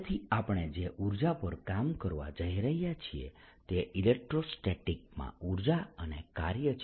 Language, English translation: Gujarati, so what we are going to work on is the energy and work in electrostatics